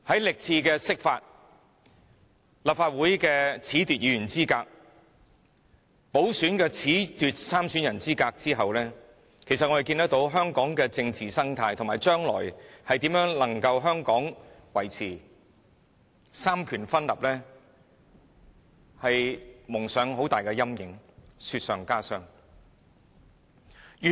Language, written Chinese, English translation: Cantonese, 歷次釋法、褫奪立法會議員資格、褫奪補選參選人資格事件，令香港的政治生態，以及將來如何維持三權分立蒙上很大陰影，雪上加霜。, The many interpretations of the Basic Law the disqualification of Legislative Council Members and disqualification of by - election candidates have cast very big doubts on Hong Kongs political ecology and the future of the separation of powers